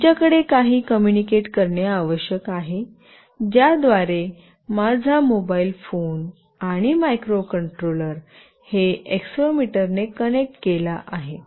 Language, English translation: Marathi, We need to have some communication through which my mobile phone and the microcontroller with which it is connected with the accelerometer should communicate